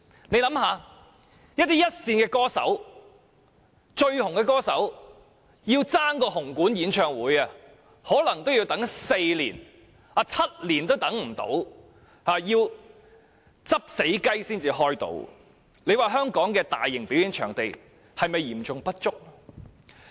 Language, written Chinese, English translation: Cantonese, 試想一想，這些一線和最受歡迎的歌手均要爭奪紅館的演唱會檔期，而且動輒需要輪候4年甚至7年也不果，最終要"執死雞"才能如願，香港的大型表演場地是否嚴重不足？, Come to think about it All these leading and most popular singers have to compete for time slots in the Hong Kong Coliseum for holding their concerts and they are often required to wait four years and even seven years to no avail . Finally they can only hold their concerts by taking up time slots vacated by other singers so there is really a serious shortage of large performing venues in Hong Kong right?